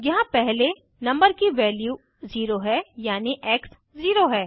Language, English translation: Hindi, Here, First the value of number is 0 ie